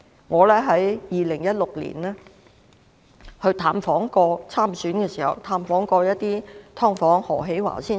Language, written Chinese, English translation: Cantonese, 我在2016年參選的時候，曾探訪一些"劏房戶"。, When I stood for election in 2016 I visited some dwellers of subdivided units